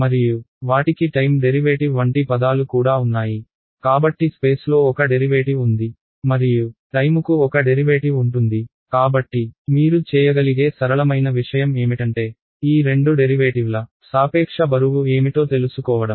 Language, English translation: Telugu, And they also had terms like time derivative, so there is a derivative in space and there is a derivative in time; and so the simplest thing you can do is to find out what is the relative weight of these two derivatives